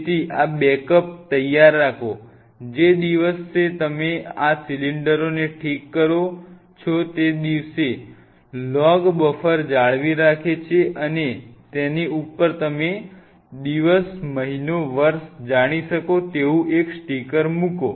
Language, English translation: Gujarati, So, have these backups ready, the day you fix these cylinders maintain a log buffer and on top of that put a stick sticker, telling that fixed on say you know day month year